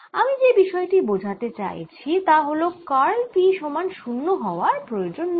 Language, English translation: Bengali, you will immediately see that curl of p is not zero